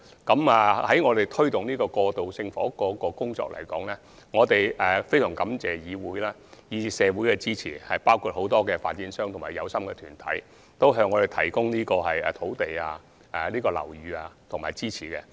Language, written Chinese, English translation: Cantonese, 就推動過渡性房屋這項工作而言，我們非常感謝議會及社會的支持，包括很多發展商和有心團體，他們向我們提供土地、樓宇和支持。, Speaking of promoting the provision of transitional housing we are very grateful to the Council and the community for their support including many developers and interested organizations which provided land buildings and support